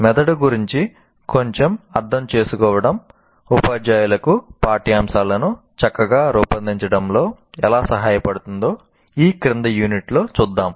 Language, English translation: Telugu, For example, we'll see in the following unit a little bit of understanding of the brain can help the teachers design the curriculum better